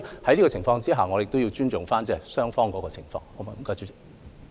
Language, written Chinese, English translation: Cantonese, 基於這些原因，我們也要尊重雙方的情況。, Owing to these factors we have to respect both parties